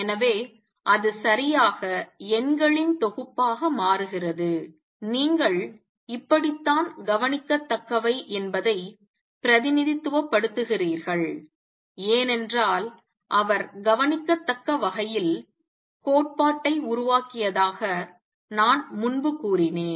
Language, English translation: Tamil, So, it becomes a collection of numbers all right and that is how you represent how are the observable because earlier I had said that he had formulated theory in terms of observables